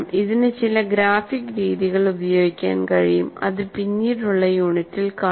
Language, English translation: Malayalam, For this, one can use some graphic methods which we'll see in the later unit